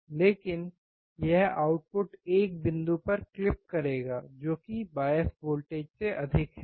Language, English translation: Hindi, But that output will clip at one point which is more than the bias voltage